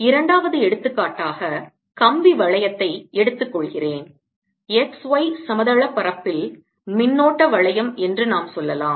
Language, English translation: Tamil, as a second example, let me take a ring of wire, ring of current, let's say in the x, y plane